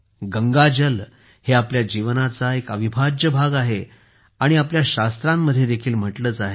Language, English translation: Marathi, Ganga water has been an integral part of our way of life and it is also said in our scriptures